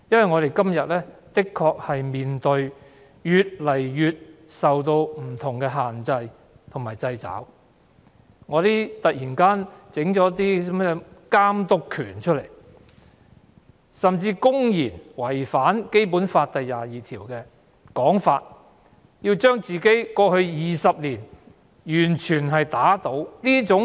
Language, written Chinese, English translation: Cantonese, 我們目前的確面對越來越多不同的限制和掣肘，例如中聯辦突然提出監督權，甚至"林鄭"政府竟然牽頭，公然違反《基本法》第二十二條，要打倒過去20多年的自己。, An increasing number of limitations and constraints have actually been imposed on us . For example the Liaison Office of the Central Peoples Government in the Hong Kong Special Administrative Region LOCPG has suddenly brought up the power of oversight while the Carrie LAM Administration has even taken the lead to defy Article 22 of the Basic Law by overturning what they have been upholding in the past two decades